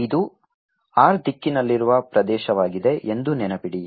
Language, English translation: Kannada, remember this is the area in direction r